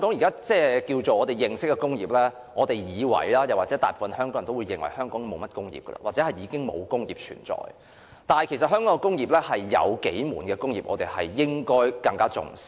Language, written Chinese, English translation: Cantonese, 大部分香港人也會認為香港已經沒有甚麼工業，或已經沒有工業存在，但其實香港有數門工業，我們應該更為重視。, The majority of Hong Kong people may think that there are hardly any industries in Hong Kong or industries do not exist in Hong Kong anymore but there are actually a number of Hong Kong industries to which we should attach more importance